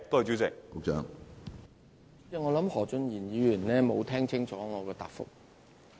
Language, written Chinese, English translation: Cantonese, 主席，我認為何俊賢議員沒有聽清楚我的答覆。, President I think Mr Steven HO did not hear my reply clearly